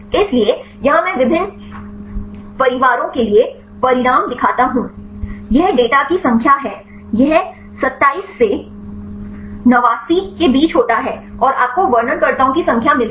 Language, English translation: Hindi, So, here I show the results for the different families this is the number of data; it ranges from 27 to 89 and you get number of descriptors